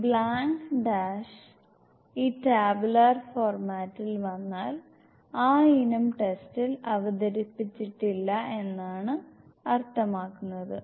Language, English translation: Malayalam, If this blank screen blank dash comes in this tabular format, it means item must not present in the test